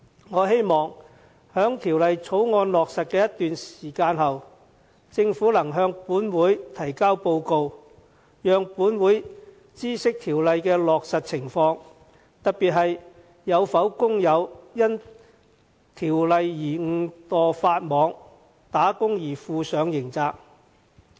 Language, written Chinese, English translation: Cantonese, 我希望在《條例草案》落實一段時間後，政府可以向本會提交報告，讓本會知悉落實有關規定的情況，特別是有否工友因而誤墮法網，打工而負上刑責。, I hope that the Government would submit a report to the Legislative Council after the amended legislation has been in force for some time to update us of the implementation of the relevant provisions . We are particular keen to know if any workers have breached the law inadvertently in the course of their work and thus have to bear the criminal liabilities